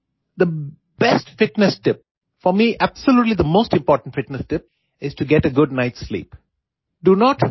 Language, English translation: Gujarati, The best fitness tip for me absolutely the most important fitness tip is to get a good night sleep